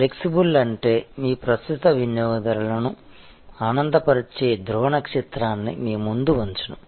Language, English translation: Telugu, Flexible means that keeping the pole star of delighting your current customers in front of you